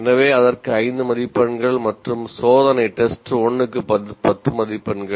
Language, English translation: Tamil, Assignment carries 5 marks and then test 1 carries 10 marks and test 2 carries 10 marks